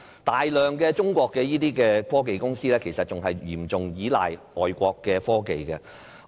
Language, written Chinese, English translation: Cantonese, 大量中國科技公司其實仍然嚴重依賴外國的科技。, It is sad to say that many Chinese technology enterprises are still heavily reliant on foreign technologies